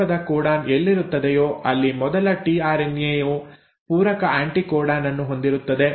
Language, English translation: Kannada, Wherever there is a start codon the first tRNA which will have the complementary anticodon